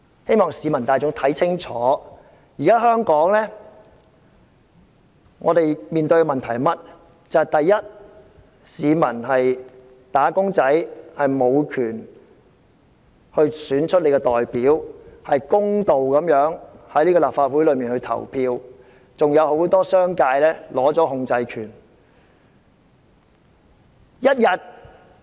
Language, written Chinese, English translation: Cantonese, 請市民看清楚香港面對的問題：一般市民和"打工仔"無權選出自己的代表，在立法會會議上公道地作出表決，很多商界議員還掌握控制權。, I ask the public to look carefully at the problems that Hong Kong is facing The general public and wage earners do not have the right to choose their representatives to vote fairly at the Legislative Council meetings as many Members from the business sector still have the right of control